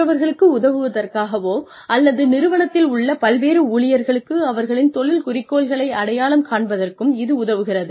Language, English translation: Tamil, In order to be, able to help others, or, helps different employees in the organization, identify their career goals